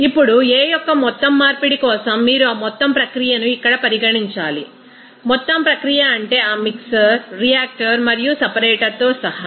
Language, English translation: Telugu, Now, for overall conversion of A you have to consider that whole process here, whole process means including that mixer, reactor and separator